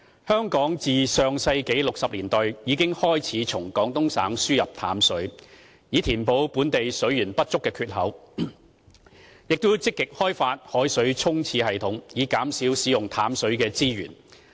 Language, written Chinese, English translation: Cantonese, 香港自上世紀60年代已開始從廣東省輸入淡水，以填補本地水源不足的缺口，並積極開發海水沖廁系統，以減少使用淡水資源。, Since the 1960s Hong Kong has been importing fresh water from Guangdong Province to make up for its shortfall of water resources . At the same time it has actively developed a system of seawater for toilet flushing in order to reduce the use of freshwater resources